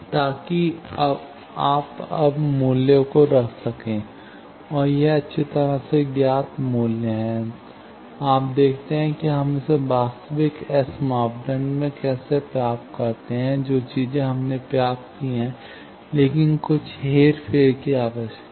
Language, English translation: Hindi, So that you can put now the values, and this is the well known value; you see, how simply we got it in actual S parameter, things we have derived that, but, that requires some manipulation